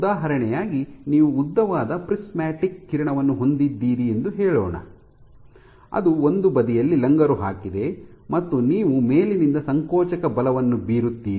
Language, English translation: Kannada, As an example, let us say you have a long prismatic beam, which is anchored at one side and you exert a force, a compressive force from the top